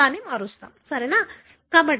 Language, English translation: Telugu, We have changed it, right